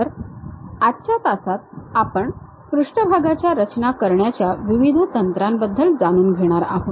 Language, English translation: Marathi, So, in today's class we will learn about various surface construction techniques